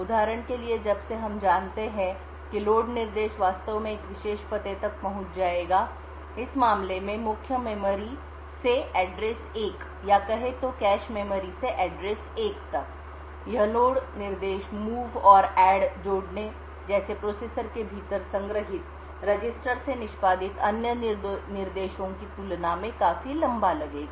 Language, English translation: Hindi, For example since we know that the load instruction actually would access a particular address in this case address 1 from the main memory or from say a cache memory this load instruction would take considerably longer than other instructions like the move and add which are just performed with registers stored within the processor